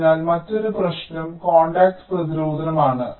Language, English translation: Malayalam, so another issue is the contacts resistance